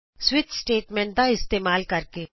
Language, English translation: Punjabi, By using switch statement